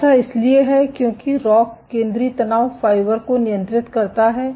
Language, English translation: Hindi, This is because rock controls central stress fibres